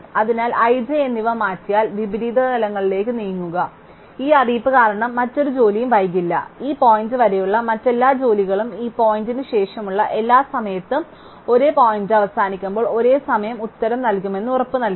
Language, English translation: Malayalam, So, therefore by exchanging i and j not only have an a move on inversions have also guaranteed that because of this notice that late no other job, every other job up to this point ends at the same time when the every time which is the after this point also end the same point